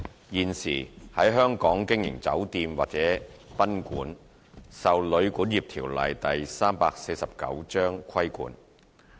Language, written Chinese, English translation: Cantonese, 現時，在香港經營酒店或賓館受《旅館業條例》規管。, At present the operation of hotels or guesthouses in Hong Kong are under the regulation of the Hotel and Guesthouse Accommodation Ordinance Cap